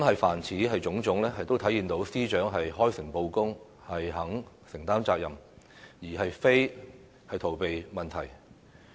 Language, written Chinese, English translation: Cantonese, 凡此種種，都體現出司長開誠布公，願意承擔責任，而非逃避問題。, All these indicate that the Secretary for Justice is upfront and honest and she is willing to take responsibility rather than dodge the issue